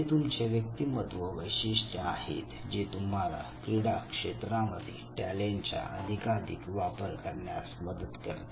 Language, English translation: Marathi, Now these are your personality characteristics and these are the characteristic which also helps you exploit your talent to the maximum possible extent to achieve the best in the field of sports